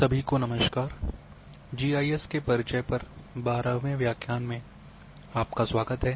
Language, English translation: Hindi, Hello everyone, welcome to the 12th lecture on Introduction to GIS